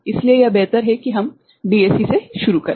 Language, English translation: Hindi, So, it is better that we start from DAC right